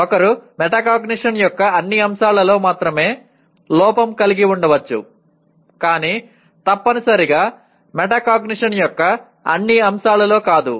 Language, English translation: Telugu, One can be deficient in some aspect of metacognition, not necessarily in all aspects of metacognition